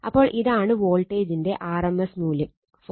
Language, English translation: Malayalam, So, this is your RMS value of the voltage 4